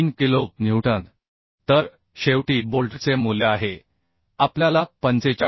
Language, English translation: Marathi, 3 kilonewton so the bolt value is finally we are getting 45